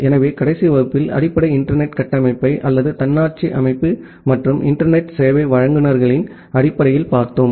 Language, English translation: Tamil, So, in the last class, we have looked into the basic internet architecture or in the terms of autonomous system and internet service providers